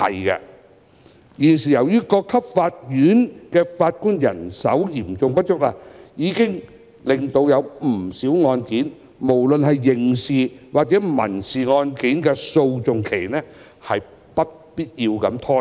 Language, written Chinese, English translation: Cantonese, 現時各級法院的法官人手嚴重不足已令不少案件的訴訟期——不論是刑事或民事案件——不必要地拖延。, The severe manpower shortage of Judges at various levels of court has now unnecessarily prolonged the litigation duration of many cases be it criminal or civil